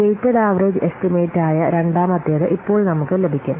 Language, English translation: Malayalam, So now we will see the second one that is weighted average estimates